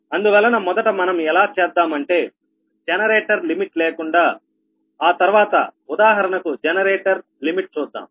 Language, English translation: Telugu, so we will first consider the case without the generator limits, for example generator limit that we will see later